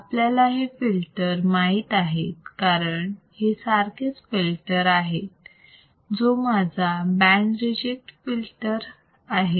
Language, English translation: Marathi, We all know this filter because all this filter is same filter, which is my band reject filter